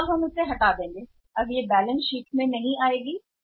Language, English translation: Hindi, We will remove this will not appear in the balance sheet now